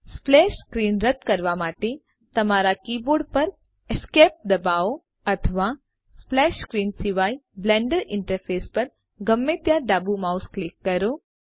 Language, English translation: Gujarati, To remove the splash screen, press ESC on your keyboard or left click mouse anywhere on the Blender interface other than splash screen